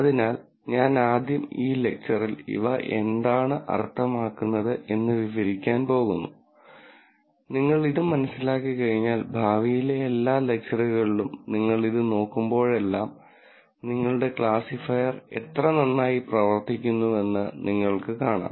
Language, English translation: Malayalam, So, I am going to, first, describe what these mean in this lecture and once you understand this, in all the future lectures, whenever you look at this, you will see, how well your classifier is doing